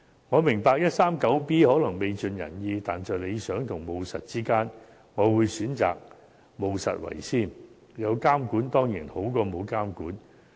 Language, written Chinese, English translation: Cantonese, 我明白第 139B 章可能未盡人意，但在理想與務實之間，我會選擇務實為先，因為有監管始終比沒有監管好。, I understand that Cap . 139B may not be entirely satisfactory but between ideal and reality I will go for reality because it is better to have regulation than not